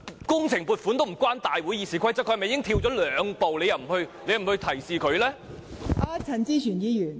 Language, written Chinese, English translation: Cantonese, 工程撥款與《議事規則》無關，他跳了兩步，你為何不向他作出提示？, Funding provisions for works projects are unrelated to the Rules of Procedure . He has skipped two steps . Why didnt you remind him?